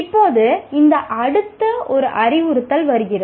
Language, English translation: Tamil, Now comes this next one, namely instruction